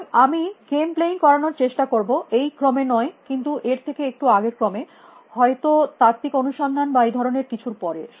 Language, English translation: Bengali, So, I will try to do game playing not in this order but a little bit earlier than this order; may be after heuristic search or something like that